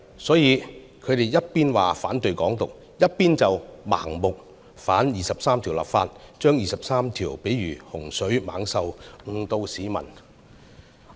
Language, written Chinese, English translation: Cantonese, 所以他們一方面說反對"港獨"，一方面卻盲目反對就《基本法》第二十三條立法，將第二十三條喻為洪水猛獸，誤導市民。, That is why they oppose Hong Kong independence on one hand but blindly object to enact legislation to implement Article 23 of the Basic Law on the other . They even describe Article 23 as scourges to mislead the public